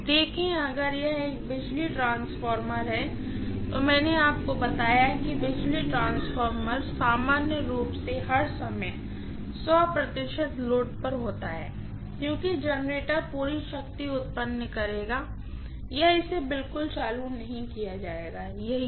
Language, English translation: Hindi, See, if it is a power transformer I told you that power transformer normally is loaded to 100 percent all the time because the generator will generate full power or it will not be commissioned at all, that is how it will be